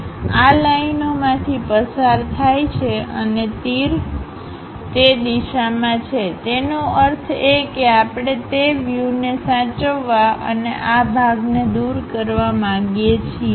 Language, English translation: Gujarati, This pass through these lines and arrow direction is in that way; that means we want to preserve that view and remove this part